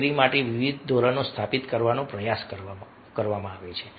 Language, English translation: Gujarati, efforts are made to establish various norms for the performance